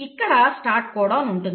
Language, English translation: Telugu, Now this is your start codon